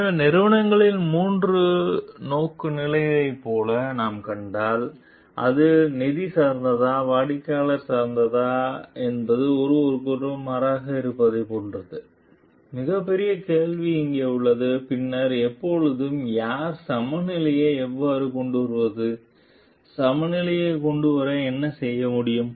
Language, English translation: Tamil, So, if we find like the three orientations of the companies whether it is quality oriented, whether it is finance oriented, customer oriented are like in contrast with each other, the biggest question lies over here; then, when and who, how to bring the balance, what can be done to bring the balance